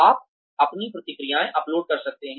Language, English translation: Hindi, You could upload your responses